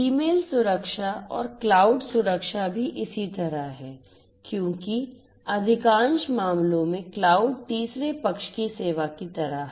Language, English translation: Hindi, Email security also likewise and cloud security, because cloud is like a third party service in most of the cases